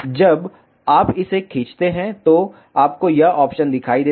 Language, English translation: Hindi, When you drag it, you see this option